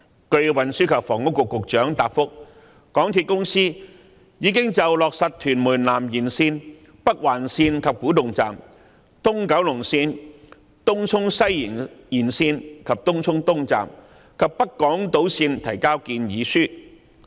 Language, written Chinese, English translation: Cantonese, 據運輸及房屋局局長答覆，香港鐵路有限公司已就落實屯門南延線、北環線、東九龍線、東涌西延線及北港島線提交建議書。, According to the reply given by the Secretary for Transport and Housing the MTR Corporation Limited MTRCL has presented its proposals on implementing the Tuen Mun South Extension the Northern Link the East Kowloon Line the Tung Chung West Extension and North Island Line